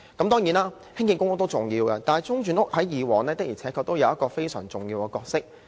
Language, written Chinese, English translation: Cantonese, 當然，興建公屋也重要，但中轉房屋過往確實擔當非常重要的角色。, Construction of PRH is undoubtedly important but interim housing did play a crucial role in the past